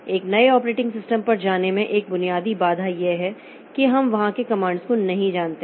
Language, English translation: Hindi, A basic obstacle in going to a new operating system is that we do not know the commands there